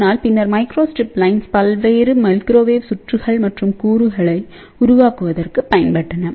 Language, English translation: Tamil, But later on microstrip lines have been used for developing various microwave circuits and component